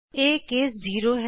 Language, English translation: Punjabi, This is case 0